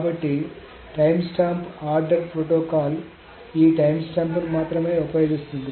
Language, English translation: Telugu, So the timestamp ordering protocol uses only this timestamps